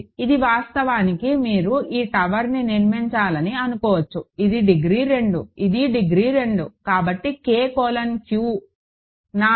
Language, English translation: Telugu, And this actually you can think construct this tower this is degree 2, this is degree 2, so K colon Q is 4